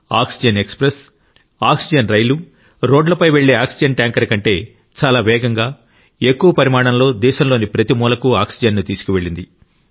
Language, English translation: Telugu, Oxygen Express, oxygen rail has transported larger quantities of oxygen to all corners of the country, faster than oxygen tankers travelling by road